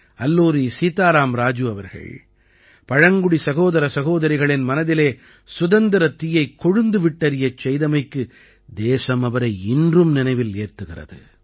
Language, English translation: Tamil, The country still remembers the spirit that Alluri Sitaram Raju instilled in the tribal brothers and sisters